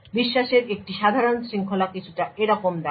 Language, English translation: Bengali, A typical chain of trust looks something like this